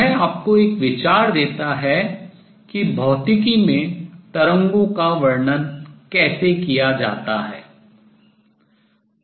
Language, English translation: Hindi, But what I want to do in this lecture is give you an idea as to how waves are described in physics